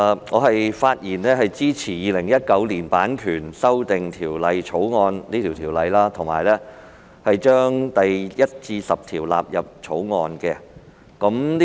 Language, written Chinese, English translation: Cantonese, 我發言支持《2019年版權條例草案》，以及將第1至10條納入《條例草案》。, I speak in support of the Copyright Amendment Bill 2019 the Bill and that clauses 1 to 10 stand part of the Bill